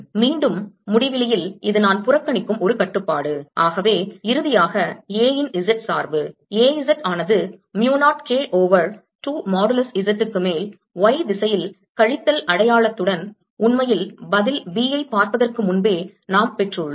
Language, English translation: Tamil, it's a constraint which i'll ignore and therefore the z dependence of a finally comes out to be a z is equal to mu naught k over two modulus z, with the minus sign in the y direction